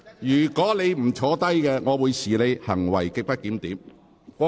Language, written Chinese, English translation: Cantonese, 如果你不坐下，我會視你為行為極不檢點。, If you do not sit down I will regard your conduct as grossly disorderly